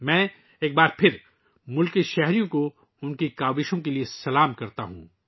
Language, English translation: Urdu, I once again salute the countrymen for their efforts